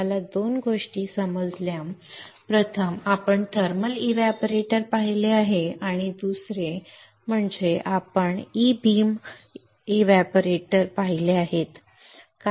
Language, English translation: Marathi, We understood 2 things; first is we have seen thermal evaporator and second is we have seen E beam evaporator